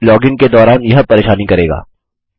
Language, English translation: Hindi, Now this causes problems while logging in